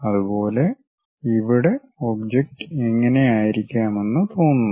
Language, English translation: Malayalam, Similarly, here it looks like this is the way the object might look like